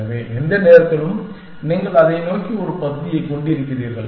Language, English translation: Tamil, So, at the any given time you have a partial toward it